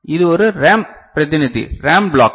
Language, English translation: Tamil, This is a RAM representative RAM block